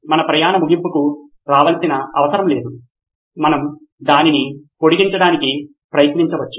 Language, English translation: Telugu, Our journey does not have to come to an end we can actually try to prolong it